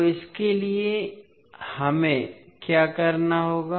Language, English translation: Hindi, So for that what we have to do